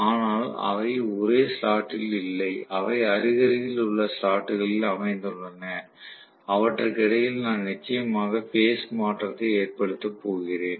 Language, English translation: Tamil, But they are not located at the same slot; they are located at adjacent slots and I am going to have definitely of phase shift between them